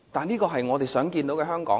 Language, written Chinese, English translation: Cantonese, 這是我們想看到的香港嗎？, Is this what we wish to see in Hong Kong?